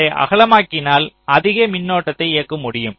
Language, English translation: Tamil, so if i make it wider, it can drive more current